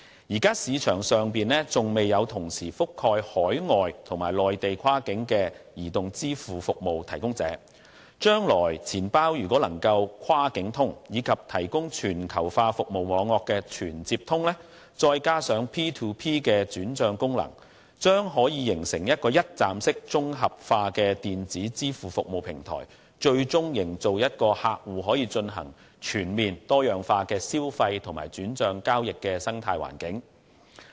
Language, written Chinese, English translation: Cantonese, 現時市場上尚未有同時覆蓋海外及內地跨境的移動支付服務提供者，將來錢包若能"跨境通"，以及提供全球化服務網絡的"全接通"，再加上 P2P 的轉帳功能，將可形成一個一站式綜合化的電子支付服務平台，最終營造一個客戶可以進行全面而多樣化消費和轉帳交易的生態環境。, There are currently no provider in the market which covers both overseas and Mainland cross - border mobile payment services . If wallets can be used cross - border and fully linked to the global service network in future coupled with P2P transfer function a one - stop integrated electronic payment service platform can be formed and ultimately an environment can be created where users can make purchases and perform transactions and fund transfers through diversified channels